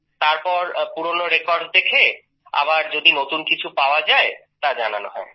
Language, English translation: Bengali, Then after seeing the old records, if we want to know any new things